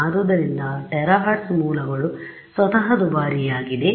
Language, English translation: Kannada, So, a terahertz sources are themselves expensive